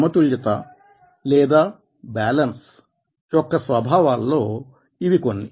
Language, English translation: Telugu, and these are some of the nature of balance